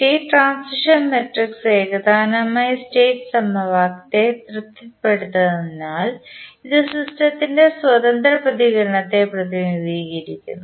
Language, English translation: Malayalam, As the state transition matrix satisfies the homogeneous state equation it represent the free response of the system